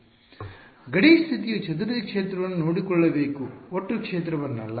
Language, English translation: Kannada, So, the boundary condition should take care of scattered field not total field